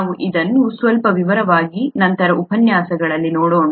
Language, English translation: Kannada, We will look at that in in some detail later in the lectures